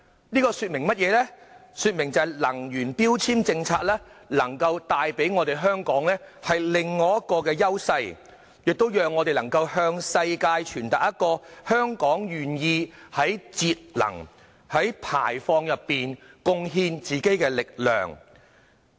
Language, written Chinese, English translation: Cantonese, 這說明了能源標籤政策能帶給香港另一種優勢，亦能讓我們向世界傳達信息，表達香港願意在節能減排上貢獻力量。, This shows that the initiative of energy efficiency labelling can give Hong Kong another edge and convey a message to the world that Hong Kong is prepared to make contribution towards energy conservation and emission reduction